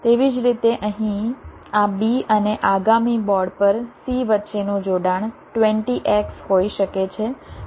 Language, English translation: Gujarati, similarly, a connection between this b here and c on the next board, it can be twenty x